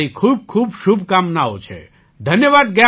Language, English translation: Gujarati, So I wish you all the best and thank you very much